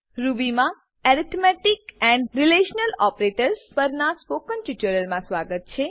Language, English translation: Gujarati, Welcome to the Spoken Tutorial on Arithmetic Relational Operators in Ruby